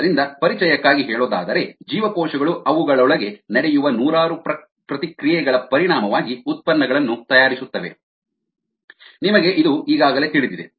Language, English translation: Kannada, so as an as an introduction, cells make products as a result of hundreds of reactions that take place inside them